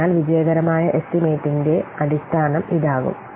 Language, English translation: Malayalam, So, this will form the basis for the successful estimation